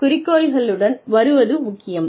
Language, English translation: Tamil, Coming up with objectives is important